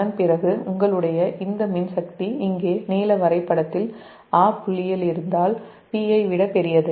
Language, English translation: Tamil, and after that, as your, this one, this electrical power here on the blue graph, at point a bit, is greater than p i